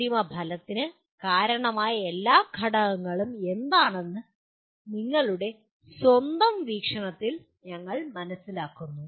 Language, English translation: Malayalam, You capture in your own view what are all the factors that contributed to the end result